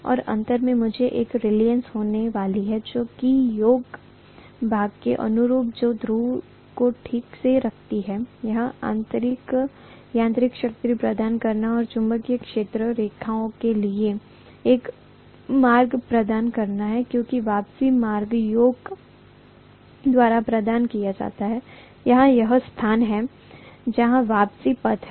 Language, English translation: Hindi, And ultimately, I am going to have one more reluctance which is corresponding to the yoke portion, this portion is normally known as yoke which holds the poles properly in place, that is to provide mechanical strength and also to provide a path for the magnetic field lines because the return path is provided by the yoke, here is where the return path is